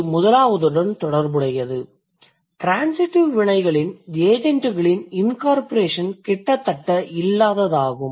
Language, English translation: Tamil, The second one is the incorporation of agents of transitive verbs is almost non existent